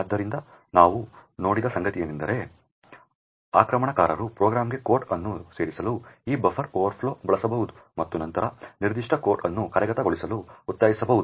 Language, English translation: Kannada, So, what we seen was that an attacker could use this buffer overflows to inject code into a program and then force that particular code to execute